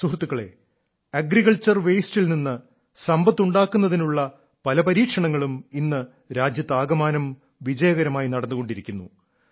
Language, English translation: Malayalam, many experiments of creating wealth from agricultural waste too are being run successfully in the entire country